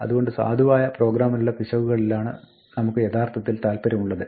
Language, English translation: Malayalam, So, what we are really interested in is errors that happen in valid programs